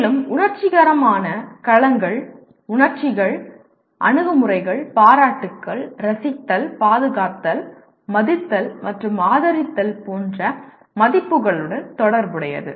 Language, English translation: Tamil, And affective domain relates to emotions, attitudes, appreciations, values such as enjoying, conserving, respecting and supporting